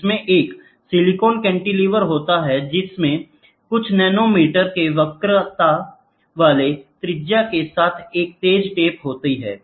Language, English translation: Hindi, It consists of a silicon cantilever with a sharp tip with a radius of a curvature of a few nanometers